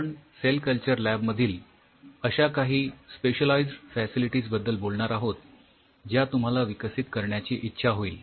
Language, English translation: Marathi, We will talk about those a specialize situation specialized facilities within a cell culture lab if you wanted to develop